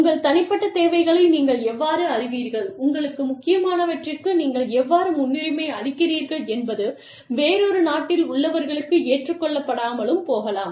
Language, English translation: Tamil, How, you know, your personal needs, how you prioritize, whatever is important for you, may not be acceptable to people, in another country